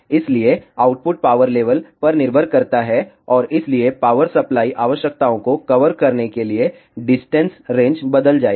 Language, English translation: Hindi, So, depending on the output power level and hence the distance range to be covered the power supply requirements will change